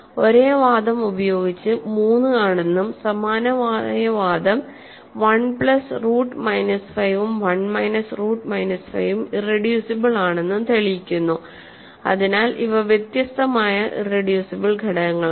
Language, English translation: Malayalam, We have proved using the same argument prove that 3 is irreducible and similar argument tells you that 1 plus root minus 5 and 1 minus root minus 5 are irreducible, so these are distinct irreducible factorizations